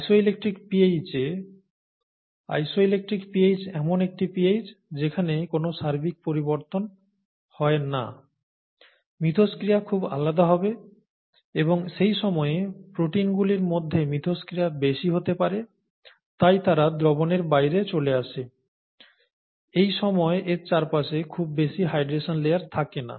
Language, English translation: Bengali, At the isoelectric pH, isoelectric pH is a pH at which there is no net charge, the interactions would be very different and at that time, the interaction between the proteins could be higher, so they fall out of solutions; there is no longer much of the hydration layer around it